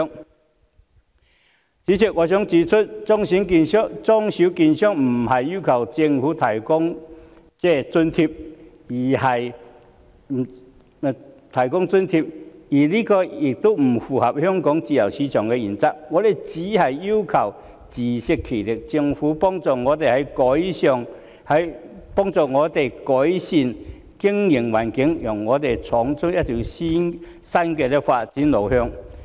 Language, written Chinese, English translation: Cantonese, 代理主席，我想指出，中小券商並非要求政府提供津貼，而這亦不符合香港自由市場的原則，我們只是要求自食其力，希望政府幫助我們改善經營環境，讓我們闖出一條新的發展路向。, Deputy President I wish to point out that the small and medium securities dealers are not asking the Government to provide subsidies for them which is after all not in line with the principle of free market in Hong Kong . All that we are asking for is to stand on our own feet . We hope that the Government can help us improve the operational environment so that we can identify a new direction of development